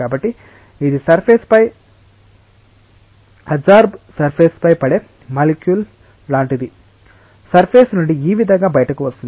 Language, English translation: Telugu, So, it is like a molecule falling on the surface adsorbed on the surface, getting ejected from the surface like this